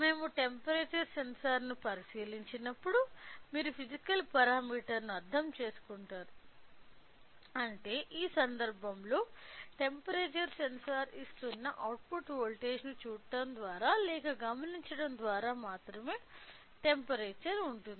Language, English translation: Telugu, When we look into the temperature sensor you will understand the physical parameter which means in this case is of temperature only by looking or by observing the output voltage that temperature sensor is giving in this case